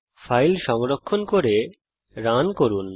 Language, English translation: Bengali, Save and run the file